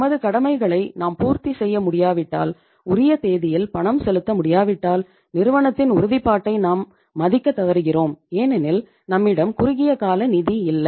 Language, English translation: Tamil, If you are not able to meet your obligations, not able to make the payments on the due date it means we won't be able to honor the commitment of the firm and because the reason is there is a no availability of the short term finance